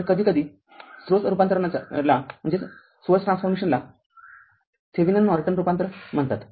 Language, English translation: Marathi, So, sometimes the source transformation we call Thevenin Norton transformation